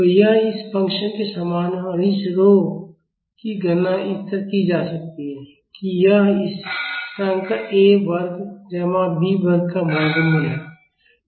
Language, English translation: Hindi, So, this is similar to the, this function and this rho can be calculated like this is square root of this constant a square plus b square